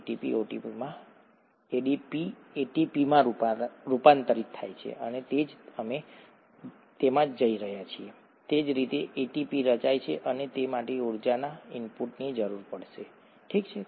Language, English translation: Gujarati, ADP gets converted to ATP and that’s what we are going to, that’s how ATP gets formed and that would require input of energy, okay